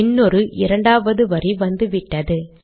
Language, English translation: Tamil, A second line has come